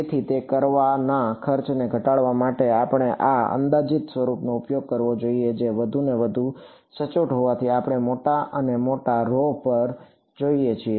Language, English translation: Gujarati, So, to reduce the cost of doing that, we should use this approximate form which is more at which is accurate as we go to larger and larger rho ok